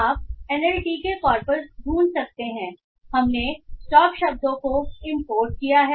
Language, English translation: Hindi, So you can find NLTK corpus we have imported the stop words